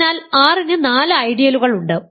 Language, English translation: Malayalam, So, R has four ideals